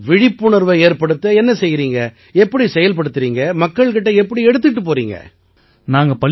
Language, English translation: Tamil, And what do you do for awareness, what experiments do you use, how do you reach people